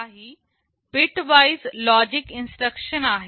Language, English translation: Marathi, There are some bitwise logical instructions